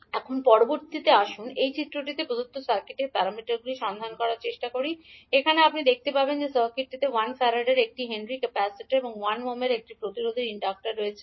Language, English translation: Bengali, Now next, let us try to find the g parameters of the circuit which is given in this figure, here you will see that the circuit is having inductor of one henry capacitor of 1 farad and one resistance of 1 ohm